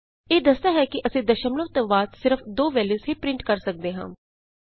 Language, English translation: Punjabi, It denotes that we can print only two values after the decimal point